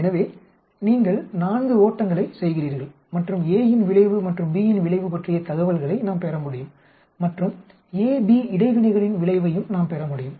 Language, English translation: Tamil, So here you are doing four runs and we can get information about the effect of A and the information about effect of B and we can also get effect of interaction A, B